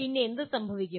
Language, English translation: Malayalam, Then what happens